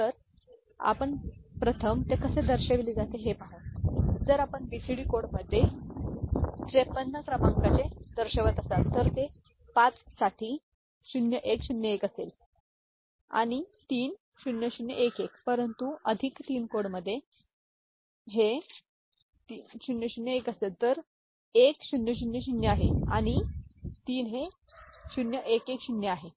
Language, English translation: Marathi, So, if we are representing a number 5 3 in BCD code it will be 0101 for 5 and 3 0011 is not it, but in excess 3 code this will be at 3 0011, so this is 1000 and this is 0110